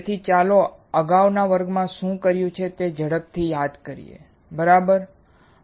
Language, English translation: Gujarati, So, let us quickly recall what we have done in the previous classes, right